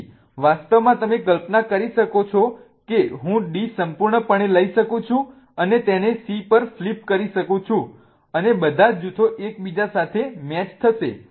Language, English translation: Gujarati, So, in fact you can imagine that I can take D completely and kind of flip it over on C and all the groups will coincide with each other